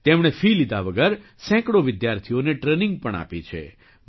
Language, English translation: Gujarati, He has also imparted training to hundreds of students without charging any fees